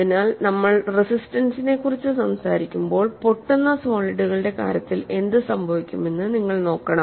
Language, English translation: Malayalam, So, when we talk about resistance, you have to look at what happens in the case of brittle solids